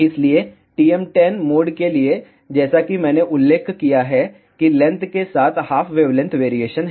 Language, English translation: Hindi, So, for TM 1 0 mode as I mentioned there is a 1 half wavelength variation along the length